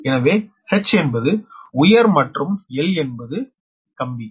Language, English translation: Tamil, so h stands for high, l stands for line